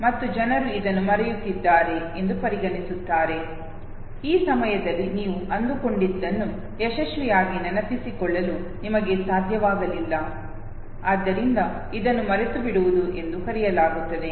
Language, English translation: Kannada, And this is what people consider that this is forgetting, you have not been successfully able to recall what you were supposed to at this point in time, therefore it is called forgetting